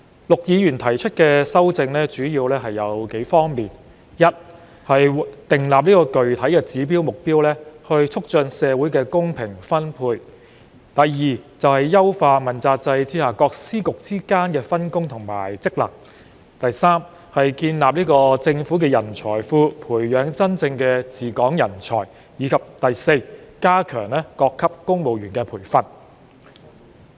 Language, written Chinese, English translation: Cantonese, 陸議員提出的修正主要有數方面：第一，訂立具體指標和目標，促進社會公平分配；第二，優化問責制下各司局之間的分工及職能；第三，建立政府人才庫，培養真正的治港人才；及第四，加強各級公務員的培訓。, Mr LUKs amendment mainly covers a few aspects first setting specific indicators and targets to promote equitable allocation of resources in the community; second improving the division of work and functions among various Secretaries Offices and Bureaux under the accountability system; third building a government talent pool and grooming real talents to govern Hong Kong; and fourth enhancing training of civil servants at various levels